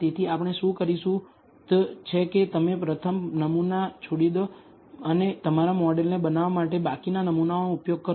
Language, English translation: Gujarati, So, what we will do is you first leave out the first sample and use the remaining samples for building your model